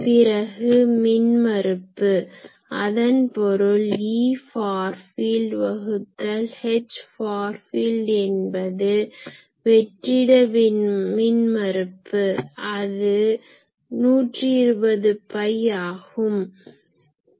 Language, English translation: Tamil, Then impedance; that means, E far field by H far field is equal to the free space impedance that is 120 pi